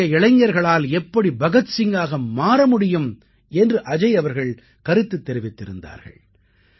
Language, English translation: Tamil, Ajay ji writes How can today's youth strive to be like Bhagat Singh